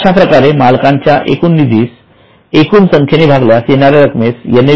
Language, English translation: Marathi, So it is the total owner's fund divided by a number of units